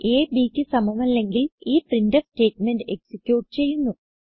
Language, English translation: Malayalam, If the condition is true then this printf statement will be executed